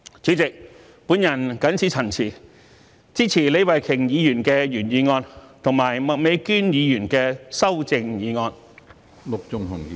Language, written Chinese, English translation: Cantonese, 主席，我謹此陳辭，支持李慧琼議員的原議案及麥美娟議員的修正案。, With these remarks President I support Ms Starry LEEs original motion and Ms Alice MAKs amendment